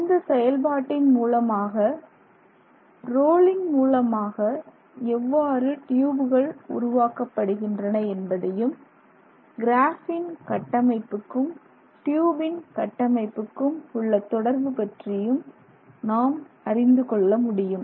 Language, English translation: Tamil, And in this process we can understand how that rolling happened and how that tube came about and how you can relate some things with the, that relate to the structure of the graphene sheet to the structure of the tube